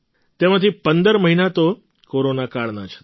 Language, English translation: Gujarati, Of these, 15 months were of the Corona period